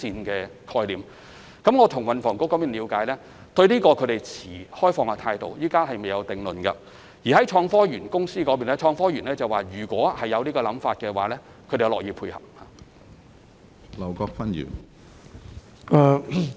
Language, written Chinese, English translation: Cantonese, 我曾為此向運房局了解，他們對這個想法持開放態度，暫時未有定論；創科園公司亦表示，當局日後如有這種想法，他們樂意配合。, I have asked THB about their views on this suggestion and they would adopt an open attitude . They have no set view at the moment . The Hong Kong - Shenzhen Innovation and Technology Park Limited has also expressed their willingness to work with the authorities if this suggestion is later taken forward